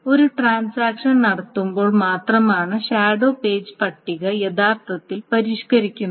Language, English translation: Malayalam, The shadow page table actually modified only when there is a commit, when a transaction commits